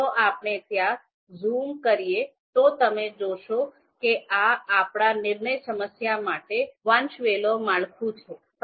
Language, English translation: Gujarati, So if we zoom into it, you would see that this is the you know hierarchical structure for our decision problem